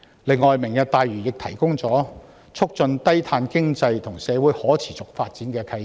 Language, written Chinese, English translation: Cantonese, 再者，"明日大嶼願景"提供了促進低碳經濟和社會可持續發展的契機。, Furthermore the Lantau Tomorrow Vision creates the opportunity conducive to the development of low - carbon economy and a sustainable society